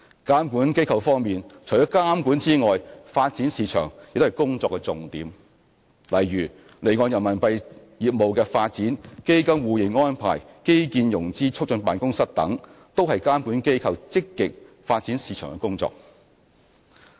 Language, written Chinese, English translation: Cantonese, 監管機構方面，除監管外，發展市場亦是工作重點，例如離岸人民幣業務的發展、基金互認安排、基建融資促進辦公室等，都是監管機構積極發展市場的工作。, As far as regulatory bodies are concerned apart from discharging their regulatory functions market development is also one of their major areas of work and some examples to illustrate their active participation in market development are the development of offshore RMB business mutual recognition of funds the establishment of IFFO and so on